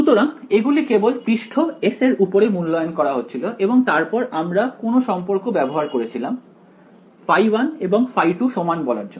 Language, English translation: Bengali, So, these were only being evaluated on the surface S and then what relation did we use to say that phi 1 and phi 2 should be the same